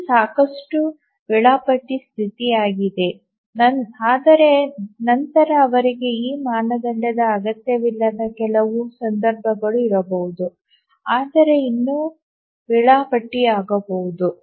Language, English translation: Kannada, which is a sufficient schedulability condition but then there can be some cases where they don't meet this criterion but still become schedulable